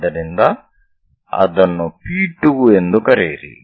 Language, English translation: Kannada, So, call that one as P 2